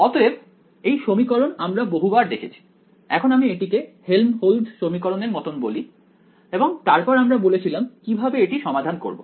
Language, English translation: Bengali, So, this equation we have seen it many times when now we I will call this it is like a Helmholtz equation and then we said how do we solve this